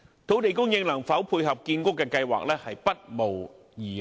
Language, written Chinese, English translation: Cantonese, 土地供應能否配合建屋計劃，不無疑慮。, It is doubtful whether land supply can tie in with housing construction plans